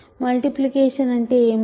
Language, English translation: Telugu, What is multiplication